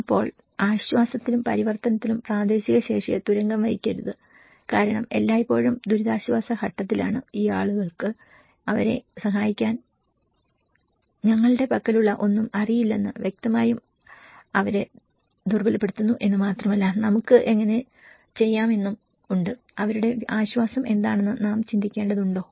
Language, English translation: Malayalam, Then in the relief and transition, donít undermine the local capacities because at always at relief phase, obviously undermines that these people doesnít know anything that we have there to help them, but also there are ways how we can, we need to think how what are their relief